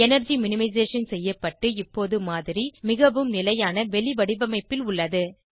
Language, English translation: Tamil, Energy minimization is now done and the model is in the most stable conformation